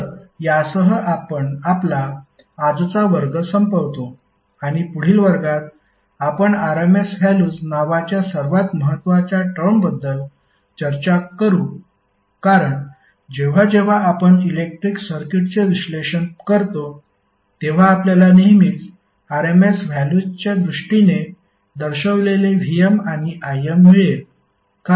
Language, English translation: Marathi, So this we finish our today's class and next class we will discuss about the one of the most important term called RMS values because whenever you analyze the electrical circuit, you will always get the Vm and Im as represented in terms of RMS value